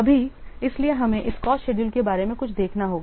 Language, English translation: Hindi, This is something about the cost schedule